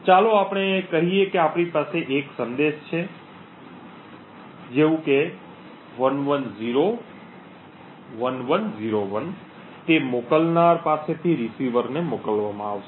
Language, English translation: Gujarati, So, let us say that we have a message and assume a binary message of say 1101101 to be sent from the sender to the receiver